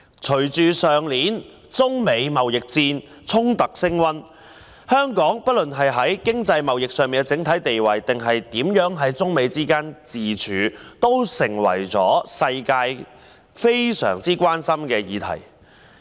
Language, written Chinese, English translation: Cantonese, 隨着去年中美貿易衝突升溫，無論香港在經濟貿易上的整體地位或是在中美之間的自處，都成為全球十分關心的議題。, As the trade conflicts between China and the United States escalated last year Hong Kongs global position in commerce and trade or what it should do when being caught between China and the United States has become an issue of great global concern